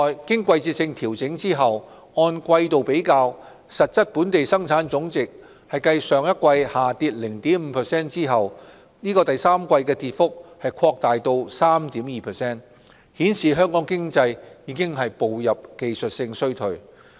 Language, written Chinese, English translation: Cantonese, 經季節性調整後按季比較，實質本地生產總值繼上一季下跌 0.5% 後，在第三季的跌幅擴大至 3.2%， 顯示香港經濟已步入技術性衰退。, On a seasonally adjusted quarter - to - quarter comparison the fall in real GDP widened to 3.2 % in the third quarter from 0.5 % in the preceding quarter indicating that the Hong Kong economy has entered a technical recession